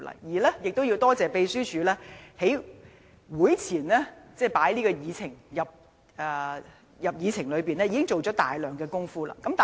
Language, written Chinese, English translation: Cantonese, 我們也要多謝秘書處在這項議案獲列入議程前，已經做了大量工夫。, Furthermore we should thank the Secretariat for having done so much work before this motion was included as an agenda item